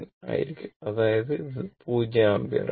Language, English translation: Malayalam, So, it is your 0 ampere